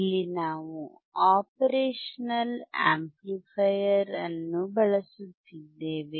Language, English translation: Kannada, Here we are using operational amplifier